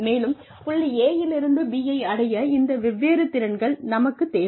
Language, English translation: Tamil, And, I need these different skills, in order to reach, go from point A to point B